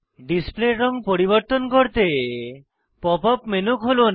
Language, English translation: Bengali, To change the color of display, open the Pop up menu